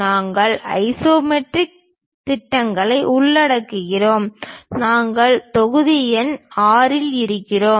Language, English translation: Tamil, We are covering Isometric Projections and we are in module number 6